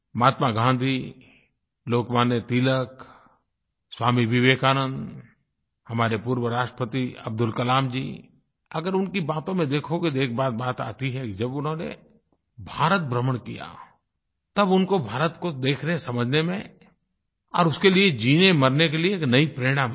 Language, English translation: Hindi, If you refer to Mahatma Gandhi, Lokmanya Tilak, Swami Vivekanand, our former President Abdul Kalamji then you will notice that when they toured around India, they got to see and understand India and they got inspired to do and die for the country